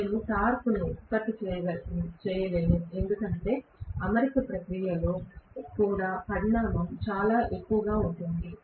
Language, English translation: Telugu, I will not be able to produce the torque because in the alignment process also the magnitude is very much involved